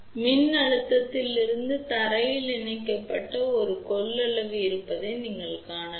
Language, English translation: Tamil, So, you can see that there is a capacitance connected from the voltage to the ground